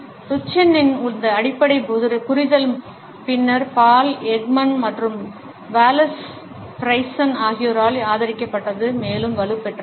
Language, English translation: Tamil, This basic understanding of Duchenne was later on supported by Paul Ekman and Wallace Friesen and was further strengthened